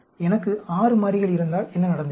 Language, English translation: Tamil, What happened if I had 6 variables